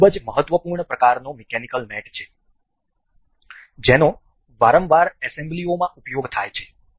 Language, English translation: Gujarati, This is a very important kind of mechanical mate very frequently used in assemblies